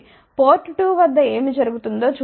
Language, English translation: Telugu, Let us see what happens at port 2